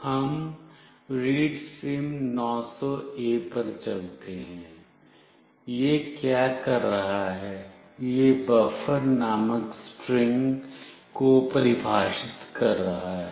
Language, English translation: Hindi, Let us go to readsim900A(), what it is doing it is defining a string called buffer